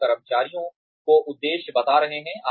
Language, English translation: Hindi, You are communicating the aims to the employees